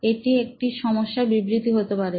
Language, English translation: Bengali, That could be a problem statement